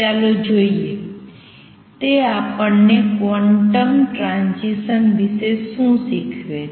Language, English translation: Gujarati, Let us see; what does it teach us about quantum transitions